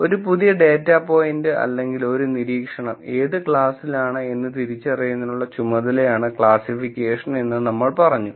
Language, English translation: Malayalam, We said classification is the task of identifying, what category a new data point, or an observation belongs to